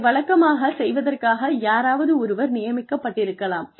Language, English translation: Tamil, There, somebody could be assigned, to do this, on a regular basis